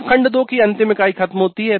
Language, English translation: Hindi, Now that completes the last unit of module 2